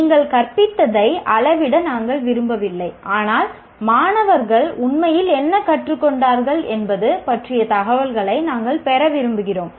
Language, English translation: Tamil, We don't want to measure what you taught, but what we want to have information on is what the students have actually learned